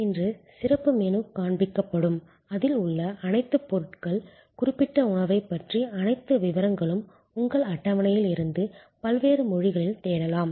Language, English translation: Tamil, Today special menu will be shown, all the ingredients of that, all the details about that particular dish, you can actually search in various languages from your table